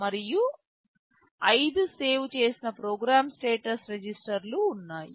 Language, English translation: Telugu, And there are 5 saved program status register